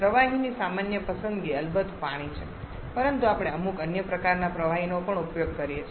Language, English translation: Gujarati, Common choice of liquid is water of course but we can use some other kind of liquids also